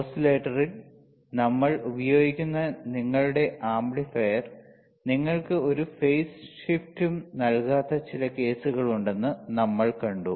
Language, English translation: Malayalam, Then we have seen that there are some cases where your amplifier that we use in the oscillator will not give you any phase shift